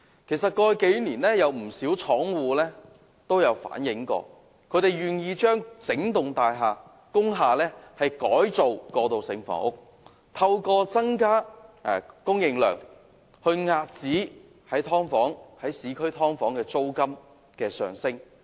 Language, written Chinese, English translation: Cantonese, 其實，過去數年都有不少廠戶表示，他們願意將整幢工廈改裝為過渡性房屋，透過增加供應量，遏止市區"劏房"的租金升勢。, In the past few years many factory owners have offered to convert their factories into transitional housing in the hope that the increase in supply can curb the rising rents of subdivided units in the urban areas